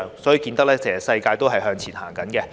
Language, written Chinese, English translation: Cantonese, 由此可見，其實世界也正在向前走。, It can thus be seen that the world is actually moving forward